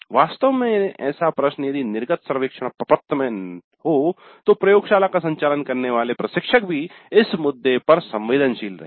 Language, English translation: Hindi, In fact such a question if it is there in the exit survey form an instructor conducting the laboratory would also be sensitized to this issue